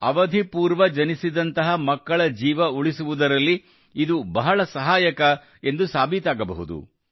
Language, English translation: Kannada, This can prove to be very helpful in saving the lives of babies who are born prematurely